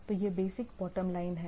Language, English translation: Hindi, So, that is, that is the basic bottom line of the things